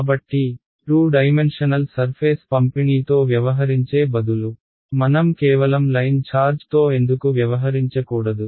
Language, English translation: Telugu, So, instead of dealing with a 2 dimensional surface distribution why not I deal with just a line charge